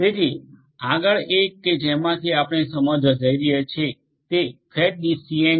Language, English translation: Gujarati, So, the next one that we are going to go through is the fat tree DCN